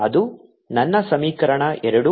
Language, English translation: Kannada, this my equation two